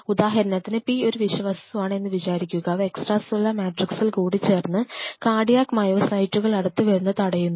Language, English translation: Malayalam, And say for example; P is some form of a Toxin which binds to extra cellular matrix and prevent the cardiac myocyte to come close to each other